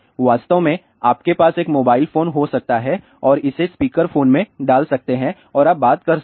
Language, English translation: Hindi, In fact, ah you can have a mobile phone and put it in the speaker phone and you can talk